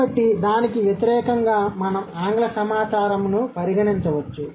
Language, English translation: Telugu, So, that versus the we can consider the English data